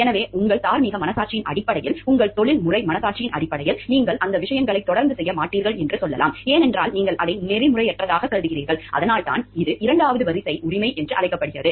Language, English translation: Tamil, So, based on your moral conscience based on your professional conscience you can say you will not be continuing to do those things solely, because you view it to be unethical and that is why it is called a second order right